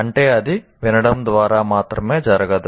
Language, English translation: Telugu, That means it cannot occur by merely listening